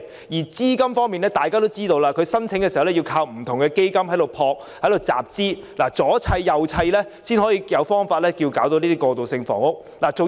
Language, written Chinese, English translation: Cantonese, 而資金方面，大家知道他們靠不同基金集資，加上各方面配合才得以推行過渡性房屋。, For the capital investment we all know that they rely on money raised by various fund organizations . The coordinated efforts of various parties are essential for them to successfully provide transitional housing